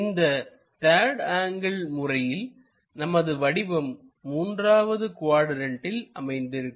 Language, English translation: Tamil, In 3rd angle projection the object supposed to be in the 3rd quadrant